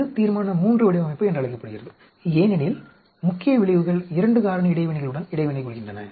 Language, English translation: Tamil, This is called Resolution III design because main effects are interacting with 2 factor interaction